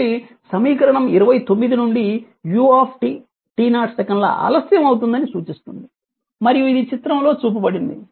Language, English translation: Telugu, So, 29 indicates that u u that your u t is delayed by t 0 second and is shown in figure